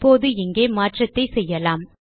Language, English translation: Tamil, Now, we can make a change here